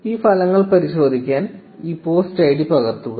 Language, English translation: Malayalam, To verify these results just copy this post id